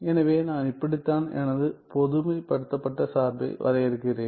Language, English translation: Tamil, So, this is how I define my generalized function ok